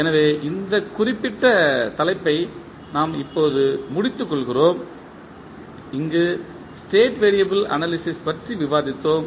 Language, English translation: Tamil, So, we close our this particular topic where we discuss about the State variable analysis